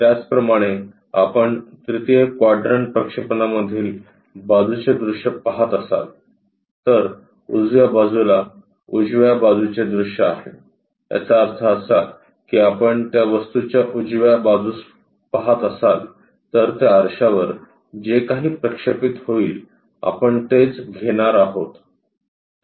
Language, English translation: Marathi, Similarly, if we are looking side view, in third quadrant projection, the side view on the right side is basically the right side view; that means, if you are looking from right side of that object whatever projected onto that mirror that is the thing what we are supposed to take it